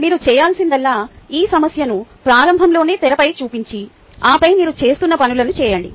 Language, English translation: Telugu, only need to do is project this problem on the screen, write in the beginning and then do the same things that you have been doing